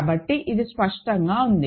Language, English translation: Telugu, So, this is clear